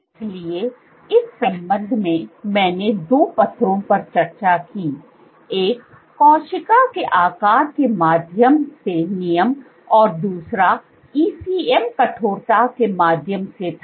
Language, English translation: Hindi, So, in that regard, I discussed two papers; one was regulation through cell shape and the other was through ECM stiffness